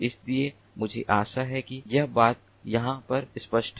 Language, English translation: Hindi, so i hope that this point is clear over here